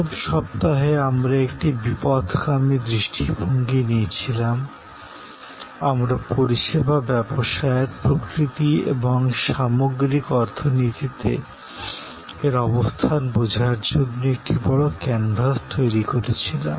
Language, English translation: Bengali, In the first week, we took a divergent view, we created the big canvas to understand the nature of the service business and it is position in the overall economy